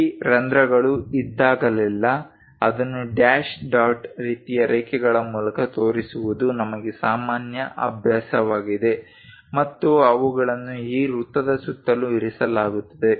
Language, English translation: Kannada, Whenever this holes are there it is common practice for us to show it by dash dot kind of lines, and they are placed around this circle